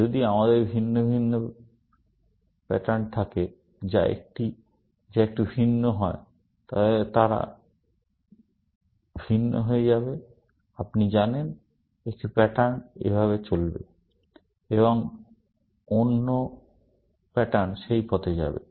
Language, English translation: Bengali, If we have different patterns, which are slightly different, then they will diverge, you know; one pattern will go this way, and another pattern will go that way